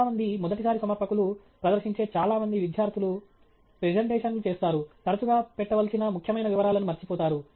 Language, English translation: Telugu, Many first time presenters, many students who present make presentations often miss out on important details that need to be looked at